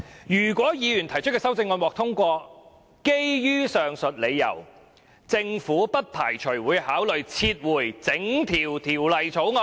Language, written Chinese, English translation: Cantonese, 如果議員提出的修正案獲得通過，基於上述理由，政府不排除會考慮撤回整項《條例草案》"。, If the Members amendments are passed given the reasons stated above the Government does not rule out the possibility of considering the withdrawal of the entire Bill